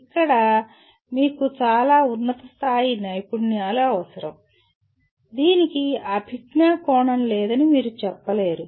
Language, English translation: Telugu, Here you require extremely high end skills though you cannot say that there is no cognitive dimension to this